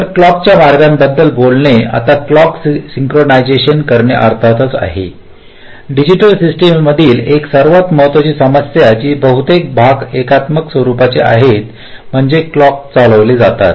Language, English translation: Marathi, ok, so, talking about clock routing now clock synchronisation is, of course, one of the most important issues in digital systems, which, or most parts, are synchronous in nature, means they are driven by a clock